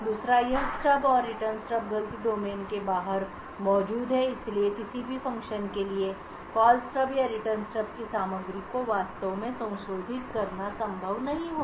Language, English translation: Hindi, Second this stub and Return Stub are present outside the fault domain so therefore it would not be possible for any function to actually modify the contents of the Call Stub or the Return Stub